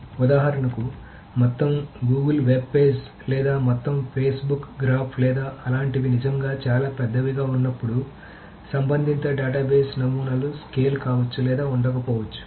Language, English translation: Telugu, For example, the entire Google web pages or the entire Facebook graph or things like that, when it is really, really large, the relational database models may or may not scale